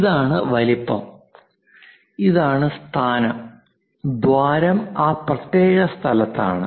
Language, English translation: Malayalam, This is size and this is location, the hole is at that particular location